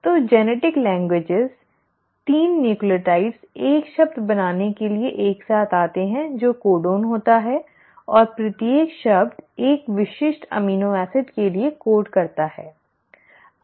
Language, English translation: Hindi, So the genetic languages, the 3 nucleotides come together to form one word which is the codon and each word codes for a specific amino acid